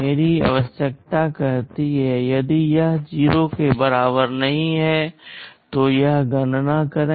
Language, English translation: Hindi, My requirement says if it is not equal to 0, then do this calculation